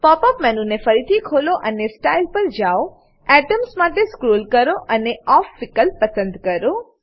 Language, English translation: Gujarati, Open the pop up menu again and go to Style scroll down to Atoms and click on Off option